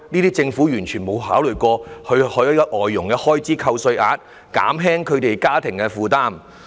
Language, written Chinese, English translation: Cantonese, 但政府沒有考慮過設立外傭開支扣稅額，減輕這些家庭的負擔。, The Government however has failed to consider offering tax deductions for foreign domestic helper expenses to lessen their burden